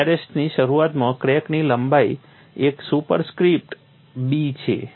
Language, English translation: Gujarati, At the start of arresting, the length of the crack is a superscript b